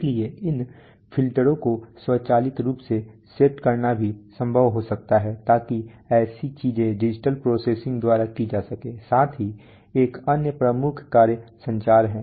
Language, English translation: Hindi, So it may be possible to even automatically set these filters so such things are done by digital processing, plus another major function is communication